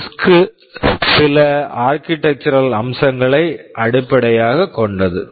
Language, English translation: Tamil, RISC is based on some architectural features